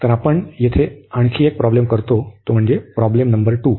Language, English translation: Marathi, So, we do one more problem here that is problem number 2